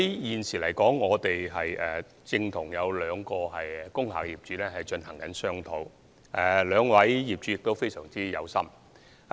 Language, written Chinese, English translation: Cantonese, 現時，我們正與兩位工廈業主進行商討，他們很有心。, At present we are discussing with two interested industrial building owners